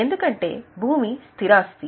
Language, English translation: Telugu, Because land is a fixed asset